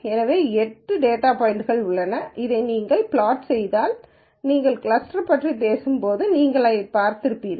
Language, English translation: Tamil, So, there are 8 data points and if you simply plot this you would you would see this and when we talk about cluster